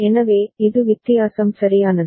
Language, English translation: Tamil, So, this is the difference right